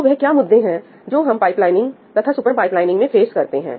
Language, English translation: Hindi, So, what are the issues that we typically face with pipelining and with super pipelining